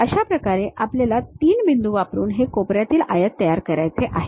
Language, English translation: Marathi, This is the way we have to construct these corner rectangles using 3 points